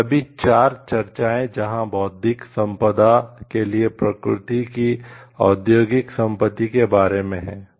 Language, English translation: Hindi, All these 4 discussions where regarding the industrial property of nature for the intellectual property